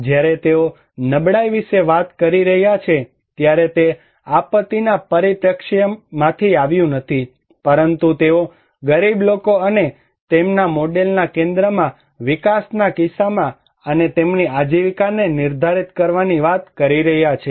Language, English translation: Gujarati, When they are talking about vulnerability, it did not came from, did not come from the disaster perspective, but they are talking defining poor people and their livelihood in case of development and people at the center of their model